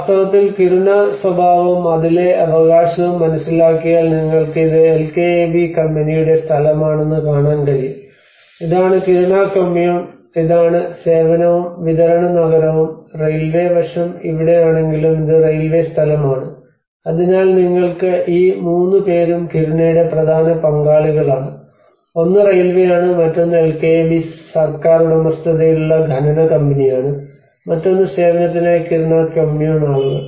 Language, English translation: Malayalam, And in fact there also to understand the Kiruna character and the belonging of it like you can see this is the LKAB company land, and this is the Kiruna Kommun this is the service and the supply town and wherever the railway aspect is there this is the railway land, so you have these 3 are the major stakeholders of the Kiruna one is the railway the other one is the LKAB state owned mining company and the other one is the Kiruna Kommun to serve the people